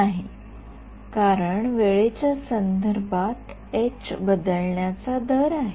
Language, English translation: Marathi, No right because its rate of change of h with respect to time